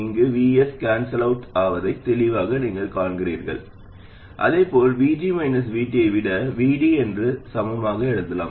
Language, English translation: Tamil, Clearly you see here that VS cancels out and the same thing can be equivalently written as VD being more than VG minus VT